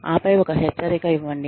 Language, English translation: Telugu, And then, give a warning